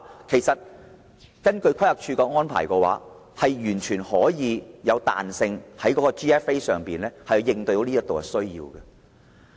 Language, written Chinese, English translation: Cantonese, 其實，規劃署的要求完全具有彈性，能在 GFA 上滿足這方面的需要。, In fact the Planning Department can be completely flexible in setting the requirements and it may cope with the demands in this respect by means of requirements on GFA